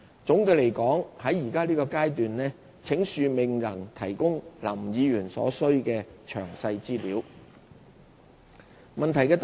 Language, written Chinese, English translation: Cantonese, 總的來說，請恕我們在現階段未能提供林議員所需的詳細資料。, To sum up we cannot provide the information requested by Mr LAM for the time being